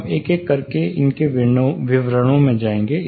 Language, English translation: Hindi, We will get into the details one by one